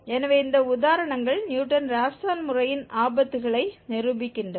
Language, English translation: Tamil, So, these examples demonstrate that pitfall of the Newton Raphson method